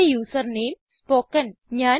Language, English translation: Malayalam, In my case, the username is spoken